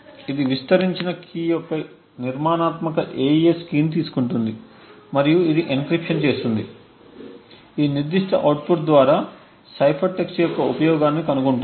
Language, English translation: Telugu, It takes the AES key this is a structured to the expanded key and it performs the encryption and find the use of cipher text through this particular output